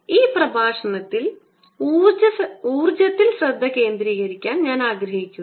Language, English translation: Malayalam, in this lecture i want to focus on the energy